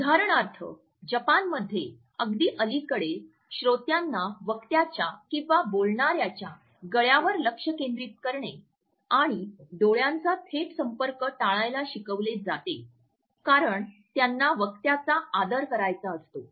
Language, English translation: Marathi, For example, up till very recently in Japan listeners are taught to focus on the neck of the speaker and avoid a direct eye contact because they wanted to pay respect to the speaker